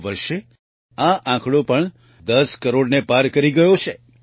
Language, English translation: Gujarati, This year this number has also crossed 10 crores